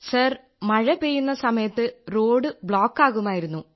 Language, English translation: Malayalam, Sir, when it used to rain there, the road used to get blocked